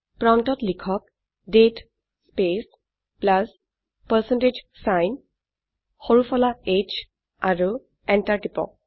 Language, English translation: Assamese, Type at the prompt date space plus percentage sign small h and press enter